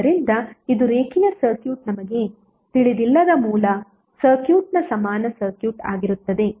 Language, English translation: Kannada, So this would be the equivalent circuit of your the original circuit where the linear circuit is not known to us